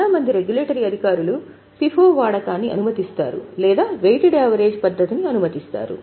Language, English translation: Telugu, Most of the regulatory authorities either allow use of FIFO or use weighted average